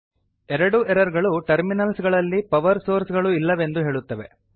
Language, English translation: Kannada, Both errors say that the terminals have no power sources